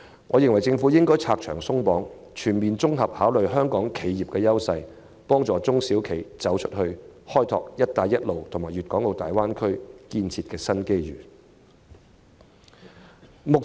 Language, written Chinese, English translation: Cantonese, 我認為政府應拆牆鬆綁，全面考慮香港企業的優勢，幫助中小企"走出去"，開拓"一帶一路"和粵港澳大灣區建設的新機遇。, I think the Government should help SMEs go global by removing encumbrances taking a comprehensive look at the competitive edge of Hong Kong enterprises and developing the new opportunities presented by the Belt and Road Initiative and the development of the Guangdong - Hong Kong - Macao Greater Bay Area